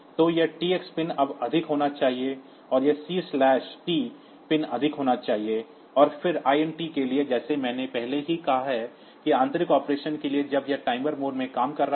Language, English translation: Hindi, So, this T x pin should be high then and this C/T pin should be high, and then for INT as I have already said that for internal operation when it is operating in the timer mode